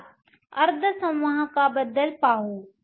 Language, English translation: Marathi, Let us look at semiconductors